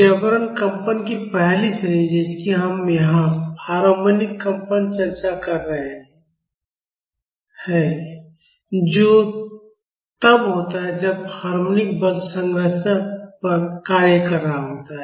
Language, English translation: Hindi, The first category of forced vibrations, we are discussing here is harmonic vibrations that is when harmonic force is acting on the structure